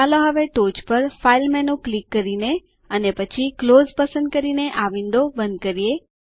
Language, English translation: Gujarati, Let us close the window, by clicking the File menu on the top and then choosing Close